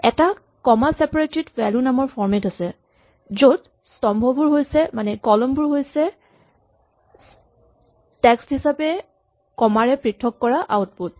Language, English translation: Assamese, There is something called a comma separated value format CSV, where the columns are output separated by commas as text